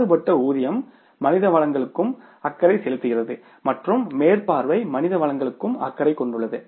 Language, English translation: Tamil, Variable payroll is also concerned to the human resources and supervision is also concerned to the human resources